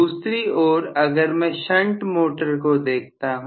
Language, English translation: Hindi, On the other hand if I look at a shunt motor